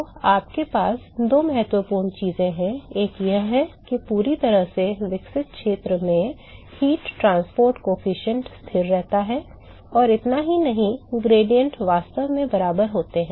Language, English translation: Hindi, So, we have got two important things one is that the heat transport coefficient remains constant in the fully developed region, and not just that, the gradients are actually equal